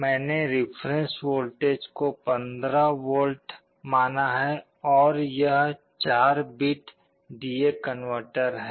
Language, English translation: Hindi, I have assumed the reference voltage to be 15 volts; this is a 4 bit D/A converter